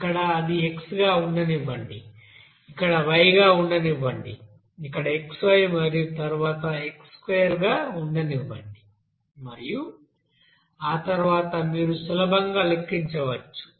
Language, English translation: Telugu, Here let it be x, here let it be y, here let it be xy value and then x square and then here you can say after that you can easily calculate